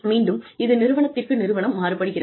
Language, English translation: Tamil, So, and again, it varies from organization to organization